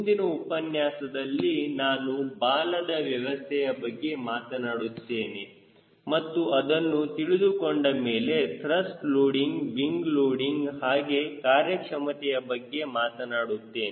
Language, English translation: Kannada, in the next lecture i will be talking about tail arrangement and once you are through with tail arrangement, then i can go for thrust loading, wing loading